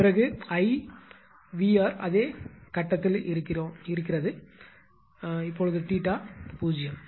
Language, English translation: Tamil, Then I and VR in the same they are in same phase VR and I; theta is zero right